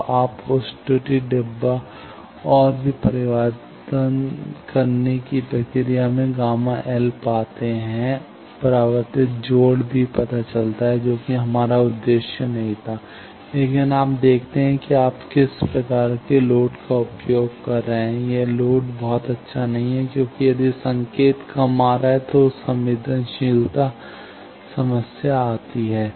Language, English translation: Hindi, So, you find those error boxes and also in the process gamma L of reflect connection gets determined that was not your objective, but you see that what type of load you are using suppose that load is not very good because if the signal coming low then there are the sensitivity problems come